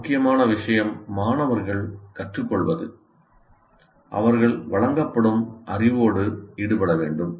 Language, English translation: Tamil, And also, most important thing is for students to learn, they should engage with the knowledge that is being present